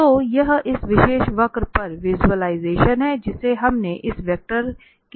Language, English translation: Hindi, So, that is the visualization on this particular curve we have seen for this vector